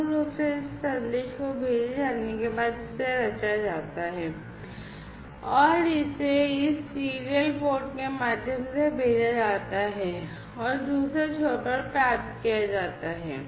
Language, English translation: Hindi, And basically there after this message is sent it is composed and it is sent through this serial port and is being received at the other end, right